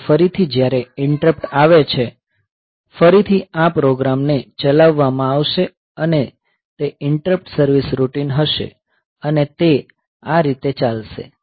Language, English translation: Gujarati, So, this way again when the interrupt comes; again this program will be invoked and it will be this interrupt service routine will be invoked and it will go like this